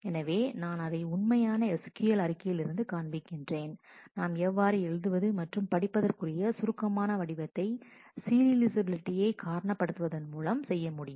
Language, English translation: Tamil, So, I have shown you from the actual sql statement, how can you make an abstraction of the read write that we use in terms of reasoning about the serializability